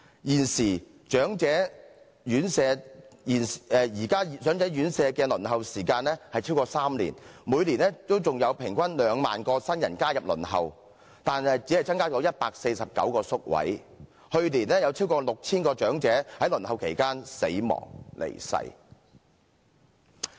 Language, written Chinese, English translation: Cantonese, 現時長者院舍的輪候時間超過3年，每年還有平均2萬名新人加入輪候，但只增加149個宿位，去年有超過 6,000 名長者在輪候期間離世。, At present the waiting time for residential care services for the elderly averages at more than three years . Every year there is an average of 20 000 elderly joining the waiting list but only 149 new places are added to the provision . Last year alone more than 6 000 elderly people passed away while queuing for a place